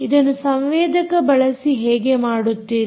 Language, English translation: Kannada, how do you do it with the sensors that you have